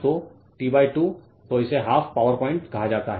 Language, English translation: Hindi, So, t by 2 so, this is called half power point